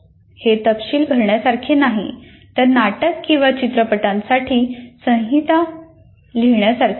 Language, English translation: Marathi, It is not the filling the details, but the writing a script, like script for a drama or a movie